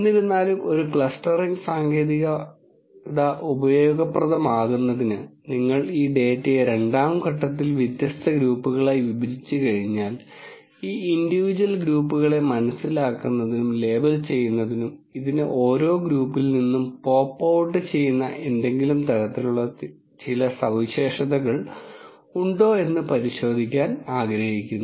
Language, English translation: Malayalam, However, for a clustering technique to be useful, once you partition this data into different groups as a second step, one would like to look at whether there are certain characteristics that kind of pop out from each of this group to understand and label these individual groups in some way or the other